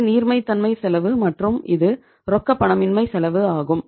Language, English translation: Tamil, This is the cost of liquidity and this is the cost of illiquidity